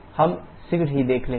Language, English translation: Hindi, We shall be seeing the shortly